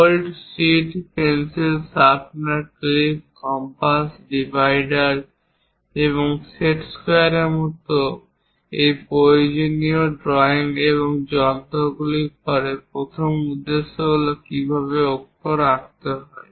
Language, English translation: Bengali, After these essential drawing instruments like bold, sheet, pencils, sharpener, clips, compass, divider, and set squares, the first objective is how to draw letters